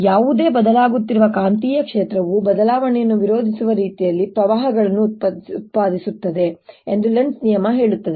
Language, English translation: Kannada, lenz's law says that any changing magnetic field produces currents in such a manner that it opposes that change